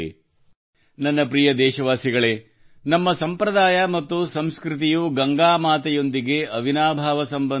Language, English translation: Kannada, My dear countrymen, our tradition and culture have an unbreakable connection with Ma Ganga